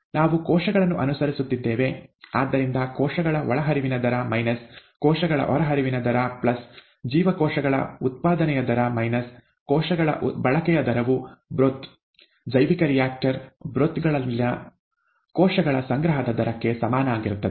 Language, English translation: Kannada, We are following cells, therefore the rate of input of cells minus the rate of output of cells plus the rate of generation of cells minus the rate of consumption of cells equals the rate of accumulation of cells in the broth, bioreactor broth